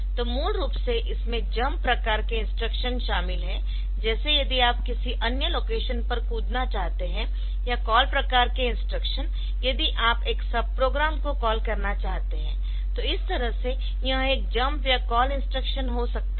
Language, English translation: Hindi, So, basically the jump type of instruction from one location, you want to jump to another location or call type of instruction you want to call a sub program so that way so it is this destination can be a jump or a call instructions target or it